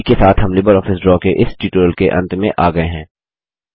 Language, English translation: Hindi, This brings us to the end of this tutorial on Introduction to LibreOffice Draw